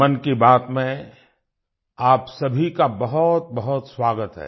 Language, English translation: Hindi, A warm welcome to all of you in 'Mann Ki Baat'